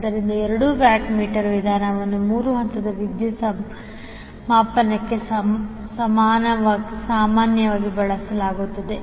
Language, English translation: Kannada, So the two watt meter method is most commonly used method for three phase power measurement